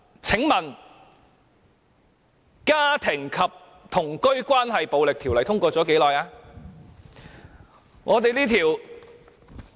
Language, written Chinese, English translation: Cantonese, 請問《家庭及同居關係暴力條例》通過了多久？, May I ask for how long has the Domestic and Cohabitation Relationships Violence Ordinance been enacted?